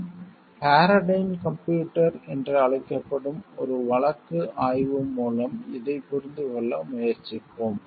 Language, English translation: Tamil, We will try to understand this through a case study which we call Paradyne computers